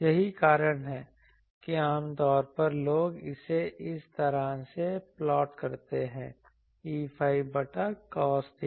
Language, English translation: Hindi, That is why generally people plot it like this that the E phi by cos theta